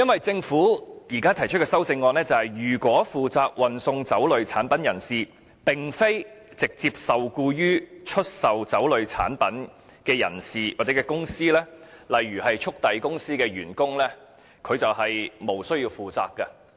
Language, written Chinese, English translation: Cantonese, 政府現時提出的修正案是，如果負責運送酒類產品人士並非直接受僱於出售酒類產品的人士或公司，例如速遞公司的員工便無須負責。, The Government now proposes in the amendments that a person responsible for delivering liquor products will be free of criminal liability if the person is not employed directly by a seller of liquor products . Employees of courier companies for example will not be held responsible